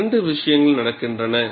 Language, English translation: Tamil, There are two things happening